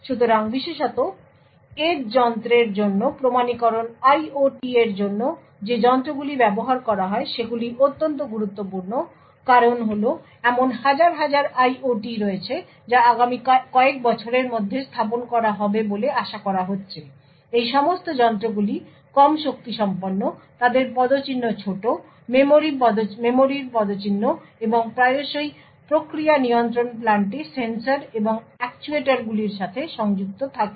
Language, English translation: Bengali, So, authentication especially for edge device, devices like which I use for IOT is extremely important, the reason being that there are like thousands of IOTs that are expected to be deployed in the next few years, all of these devices are low powered, they have small footprints, memory footprints and quite often connected to sensors and actuators in process control plants